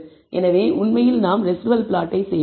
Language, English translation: Tamil, So, let us actually do the residual plot